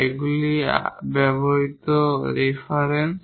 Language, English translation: Bengali, These are the references used here